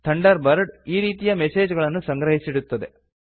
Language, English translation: Kannada, Thunderbird lets you archive such messages